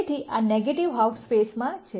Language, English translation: Gujarati, So, this is in the negative half space